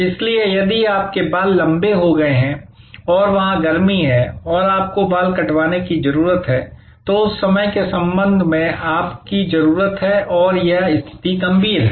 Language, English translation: Hindi, So, if your hair has grown long and there it is high summer and you need a haircut, then your need with respect to that time and that situation is critical